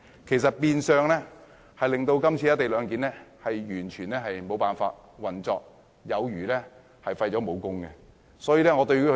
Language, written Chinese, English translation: Cantonese, 這些修正案會變相令"一地兩檢"的安排完全無法運作，有如被廢武功。, These amendments will indirectly make it impossible for the co - location arrangement to operate